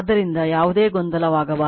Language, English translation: Kannada, So, that should not be any confusion right